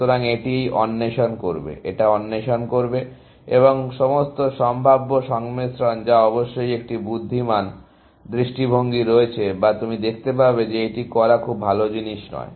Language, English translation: Bengali, So, it will explore this; it will explore this; it will explore this; and all possible combinations, which of course, has an intelligent view or you would see is not a very bright thing to do, essentially